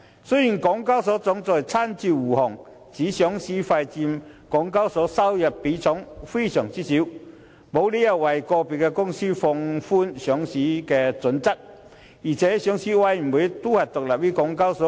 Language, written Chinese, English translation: Cantonese, 雖然港交所行政總裁親自護航，指上市費佔港交所收入的比例非常少，沒有理由為個別公司放寬上市準則，而上市委員會亦是獨立於港交所。, HKExs Chief Executive has come out in person to defend . He said that as listing fees accounted for a very small portion of HKExs revenue there was no reason for relaxing the listing criteria for individual companies . Moreover the Listing Committee is also independent of HKEx